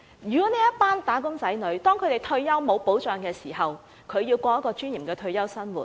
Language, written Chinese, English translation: Cantonese, 如果這群"打工仔女"退休無保障，他們如何可以過有尊嚴的退休生活？, In the absence of retirement protection how can these wage earners lead a retirement life in dignity?